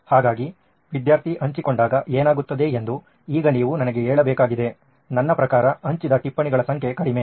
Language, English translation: Kannada, So, now you have to tell me what happens when the student shares, I mean number of notes shared are low, number of notes shared is low